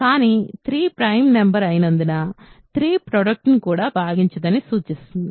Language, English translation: Telugu, But because 3 is a prime number, this implies 3 does not divide the product also